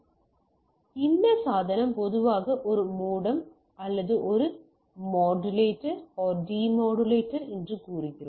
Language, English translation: Tamil, So, this device is typically a modem right or what we say a modulator and demodulator